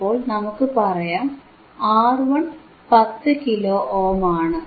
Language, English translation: Malayalam, So, let us say R 1 is 10 kilo ohm